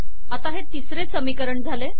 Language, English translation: Marathi, Now this has become the third equation